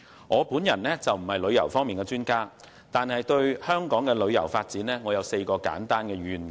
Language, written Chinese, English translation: Cantonese, 我並非旅遊方面的專家，但對香港的旅遊發展有4個簡單願景。, I am not an expert on tourism but I have four simple visions for the development of Hong Kongs tourism industry